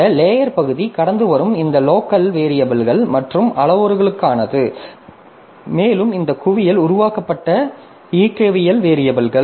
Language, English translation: Tamil, So this stack part is for this local variables and parameters that we are passing and this hip is for the dynamic variables that are created